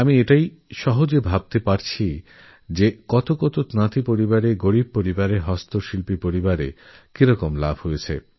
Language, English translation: Bengali, I can imagine how many weaver families, poor families, and the families working on handlooms must have benefitted from this